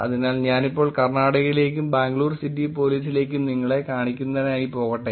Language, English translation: Malayalam, So now let me go to the Karnataka and let me go to Bangalore City Police to show you